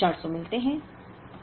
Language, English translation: Hindi, So, you get 400